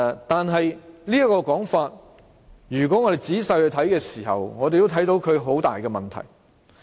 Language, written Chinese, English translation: Cantonese, 但是，如果我們仔細地看這說法，便會看到存在很大的問題。, But if we examine this argument in detail we will see a big problem with it